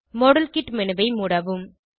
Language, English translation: Tamil, Exit the modelkit menu